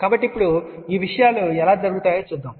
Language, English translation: Telugu, So now, let us see how these things happen